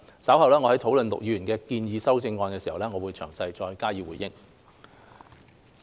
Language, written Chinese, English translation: Cantonese, 稍後我們討論陸議員的建議修正案時，我會再就此詳細回應。, When we discuss Mr LUKs amendment later I will give a more detailed response